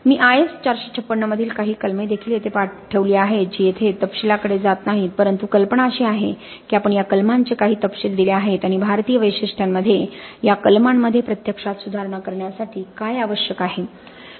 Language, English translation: Marathi, I have also placed some clauses from IS 456 not really going to the details here but the idea is that we have outlined some details of these clauses and what is needed with respect to actually improving these clauses in the Indian